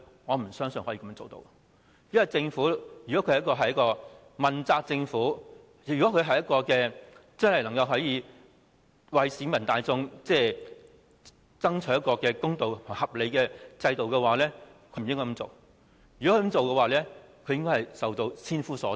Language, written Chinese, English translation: Cantonese, 我不相信政府會這樣做，如果這是一個問責政府，能為市民大眾爭取一個公道合理的制度，便不應該這樣做，否則它應受到千夫所指。, I do not believe the Government will take such actions . If the Government is responsible and seeks to establish a just and reasonable system for the public it should not take the above actions; otherwise it will be condemned universally